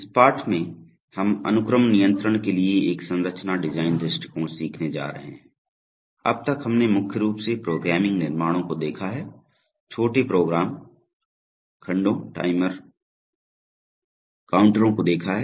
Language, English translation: Hindi, In this lesson, we are going to learn a structure design approach to sequence control, so far we have mainly seen the programming constructs, have seen small, small program segments timers, counters